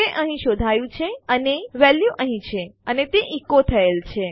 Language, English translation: Gujarati, Its detected that a value is present here and its echoed out